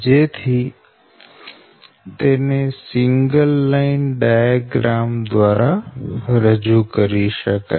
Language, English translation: Gujarati, and this is that your single line diagram